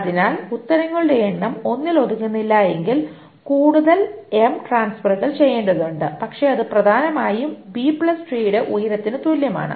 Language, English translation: Malayalam, So if the number of answers do not fit into 1 and then there are M more transfers needed to be done but it is essentially equivalent to the height of the B plus tree